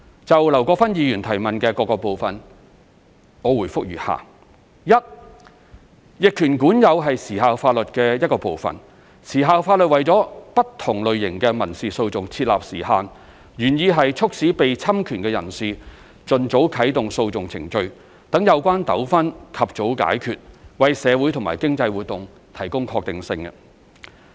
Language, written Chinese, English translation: Cantonese, 就劉國勳議員質詢的各個部分，我答覆如下：一逆權管有是時效法律的一部分，時效法律為不同類型的民事訴訟設立時限，原意是促使被侵權的人士盡早啟動訴訟程序，讓有關糾紛及早解決，為社會和經濟活動提供確定性。, My reply to the various parts of the question raised by Mr LAU Kwok - fan is as follows 1 Adverse possession is part of the laws of limitations . Such laws establish time limits for different categories of civil litigation with the objective of encouraging persons whose rights have been infringed to commence proceedings at the earliest possible time in order to resolve the disputes in an expeditious manner and provide certainty for social and economic activities